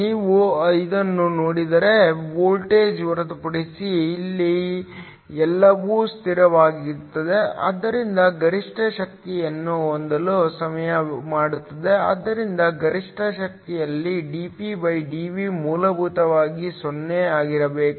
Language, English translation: Kannada, If you look at it, everything here is a constant except for the voltage, so to have maximum power; so at maximum power dPdV must be essentially 0